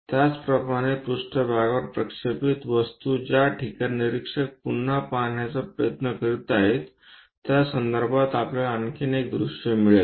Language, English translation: Marathi, Similarly, the object projected onto the plane where observer is trying to look at again, one more view we will get